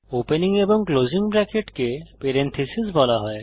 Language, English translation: Bengali, The opening and the closing bracket is called as Parenthesis